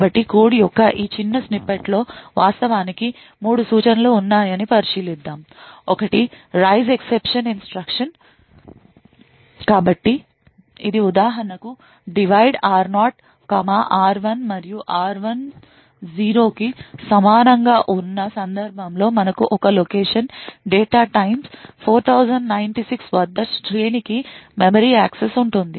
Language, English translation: Telugu, So let us consider this small snippet of code there are in fact 3 instructions which are present, one is a raise exception instruction so this for example could be a divide r0, comma r1 and the case where r1 is equal to 0 then we have a memory access to an array at a location data times 4096